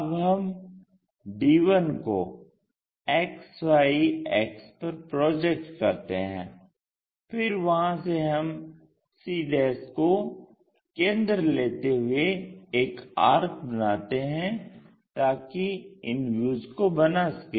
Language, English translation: Hindi, Now, we have projected d 1 onto axis XY from there we have to rotate it to construct this views